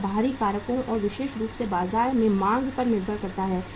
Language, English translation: Hindi, It depends upon the external factors and especially the demand in the market